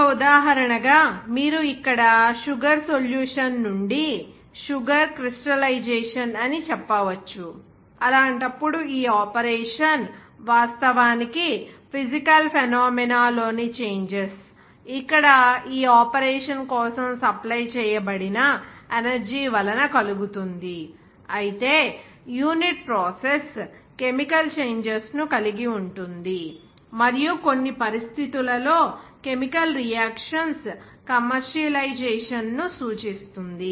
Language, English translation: Telugu, As an example, you can say that here crystallization of sugar from sugar solution; in that case, this operation actually only regarding; the changes of physical phenomena, where caused by the energy supplied for this operation whereas the unit process involves chemical changes and implies the commercialization of chemical reactions under certain conditions